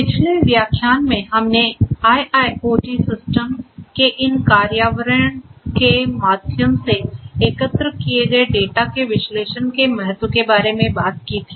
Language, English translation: Hindi, In the previous lecture we talked about the importance of analysis of the data that are collected through these implementation of IIoT systems